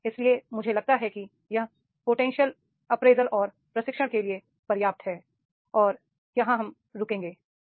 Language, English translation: Hindi, So, I think that this is enough for the potential appraisal and training and we will stop here